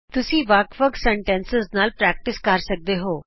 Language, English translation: Punjabi, You can keep practicing with different sentences